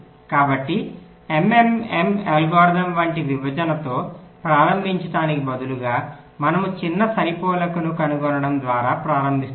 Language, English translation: Telugu, so instead of starting with a partitioning like the m m m algorithm, we start by finding out the smallest matching